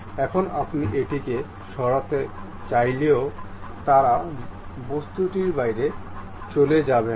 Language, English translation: Bengali, Now, even if you want to really move it, they would not move out of that object